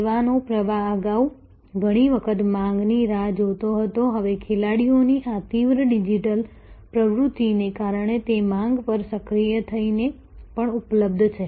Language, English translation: Gujarati, Flow of service was earlier often waiting for demand, now because of these intense digital activity among the players this is also often available activated upon demand